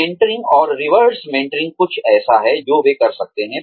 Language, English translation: Hindi, Mentoring and reverse mentoring, is something that, they can do